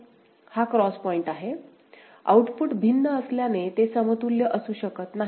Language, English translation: Marathi, This is the cross point; since the outputs are different they cannot be equivalent